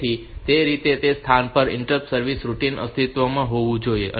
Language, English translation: Gujarati, So, that way at that location the interrupt service routine should exist